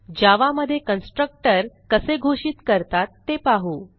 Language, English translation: Marathi, Let us now see how constructor is defined in java